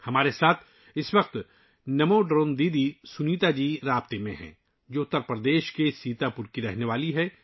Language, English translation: Urdu, Namo Drone Didi Sunita ji, who's from Sitapur, Uttar Pradesh, is at the moment connected with us